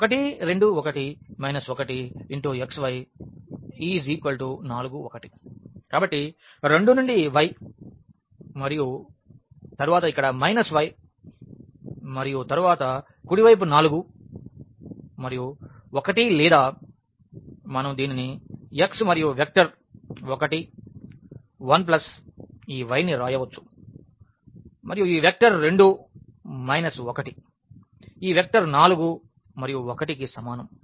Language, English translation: Telugu, So, 2 to y and then the minus y here and then the right hand side is 4 and 1 or we can write down this as x and the vector 1 1 plus this y and this vector 2 minus 1 is equal to this vector 4 and 1